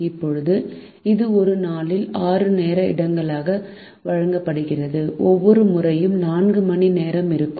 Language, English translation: Tamil, now this is given as six time slots in a day, each time slot being for four hours